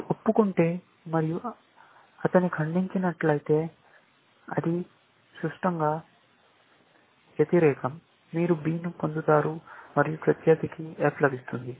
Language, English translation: Telugu, If you confess and he denies, then it is symmetrically, opposite; you get an B and gets an F